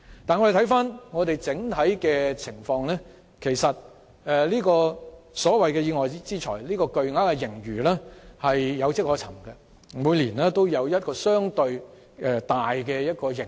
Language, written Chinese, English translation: Cantonese, 但回顧整體情況，這筆所謂屬意外之財的巨額盈餘其實有跡可尋，因為每年也會出現一筆相對大的盈餘。, But if we take a look at the whole picture we will find such a huge windfall is actually traceable because there is a bumper surplus every year